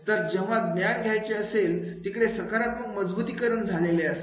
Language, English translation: Marathi, So to acquire the knowledge, there will be positive reinforcement